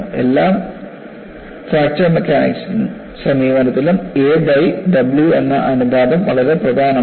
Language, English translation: Malayalam, In all our fracture mechanics approach, the ratio of a by W will become very very important